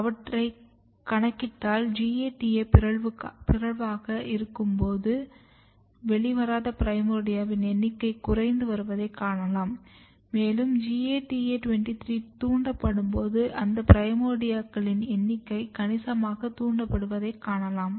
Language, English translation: Tamil, If you count them or or if you go through this and try to count you find that non emerged primordial number is also decreased when GATA23 is mutated and when GATA23 is induced you can see that number of primordia significantly induced